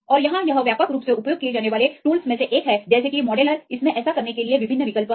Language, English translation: Hindi, And here this is the one of the widely used tools like modeller it has various options to do that